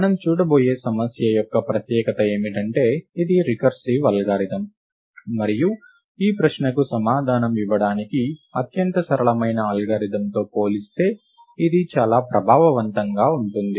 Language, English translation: Telugu, The speciality about the problem that we are going to look at is that its a recursive algorithm, and it is very efficient compared to the most simplest algorithm to answer this question